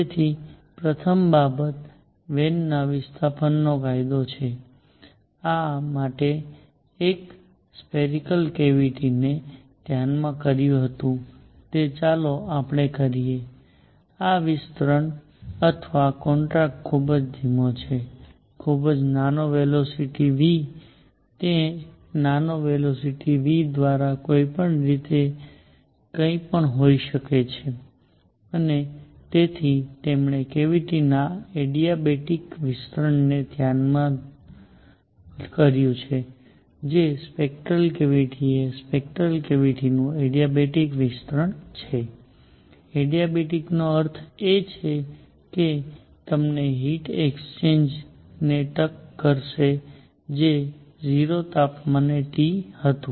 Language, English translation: Gujarati, So, first thing is Wien’s displacement law, for this he considered a spherical cavity which; let us say this expanding or contracting by a very slow; very small velocity v, it could be either way by small velocity v and so he considered adiabatic expansion of a cavity which is spherical cavity the adiabatic expansion of a spherical cavity; adiabatic means that will tuck you heat exchange was 0 at temperature T